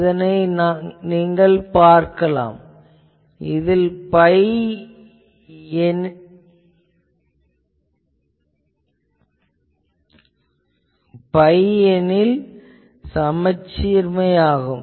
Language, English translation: Tamil, Then this point is pi, you see it is symmetric